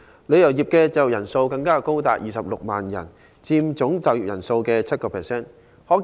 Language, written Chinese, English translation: Cantonese, 旅遊業的就業人數更高達26萬人，約佔總就業人數的 7%。, The travel industry has also employed as many as 260 000 people or about 7 % of the working population